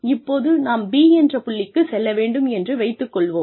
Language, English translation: Tamil, And we say, we need to go to point B